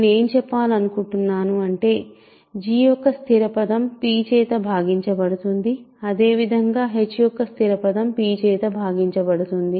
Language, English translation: Telugu, So, what we can say is a constant term of g is divisible by p that is what I should say